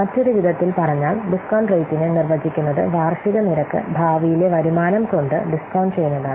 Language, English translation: Malayalam, In other words, we can say that discount rate is defined as the annual rate by which the discount by which we discount the future earnings mathematically